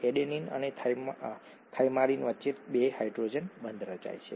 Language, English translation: Gujarati, There are two hydrogen bonds that are formed between adenine and thymine